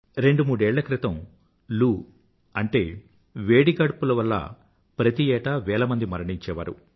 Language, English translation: Telugu, Two three years ago, thousands of people would lose their lives every year due to heatwave